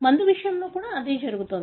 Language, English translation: Telugu, The same thing happens to the drug